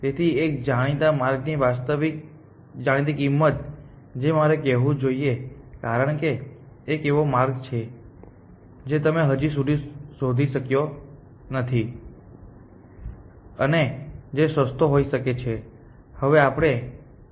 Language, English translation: Gujarati, So, it is a actual known cost or actual known cost of a known path I should say because, there is some path that you have not yet explored and which could be cheaper